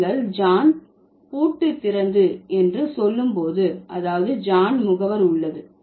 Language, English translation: Tamil, So, when you say John opened the lock, that means John is the agent